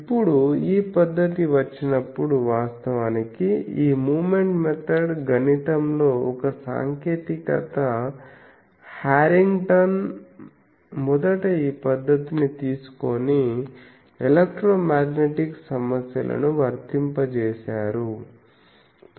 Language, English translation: Telugu, Now, people that is why when this method came actually this moment method is a technique in mathematics Harrington first took this method to and applied it to electromagnetic problems